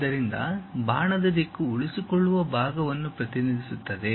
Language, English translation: Kannada, So, the direction of arrow represents the retaining portion